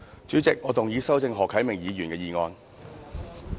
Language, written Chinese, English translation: Cantonese, 主席，我動議修正何啟明議員的議案。, President I move that Mr HO Kai - mings motion be amended